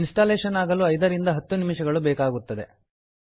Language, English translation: Kannada, The installation will take around 5 to 10 minutes